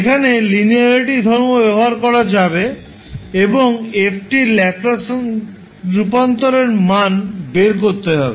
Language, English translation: Bengali, You will use linearity property here & find out the value of the Laplace transform of f t